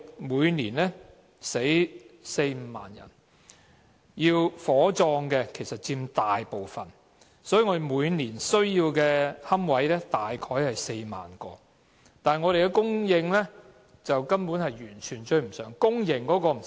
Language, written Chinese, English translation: Cantonese, 每年有四五萬人去世，火葬佔大部分，每年需要的龕位大約4萬個，但供應根本完全追不上，公營龕位更不用說。, With 40 000 to 50 000 deaths every year mostly treated by cremation the number of niches needed each year was about 40 000 but the supply of niches in particular public niches could hardly catch up